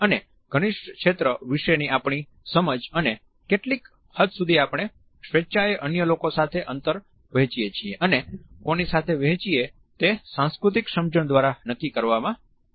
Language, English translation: Gujarati, At the same time our understanding of intimate space and to what extent we can willingly share it with others and with whom is also decided by our cultural understanding